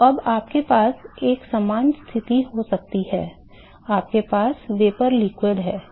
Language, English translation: Hindi, So, now, you can have a similar situation, we have vapor liquid vapor liquid